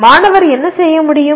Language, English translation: Tamil, What should the student be able to do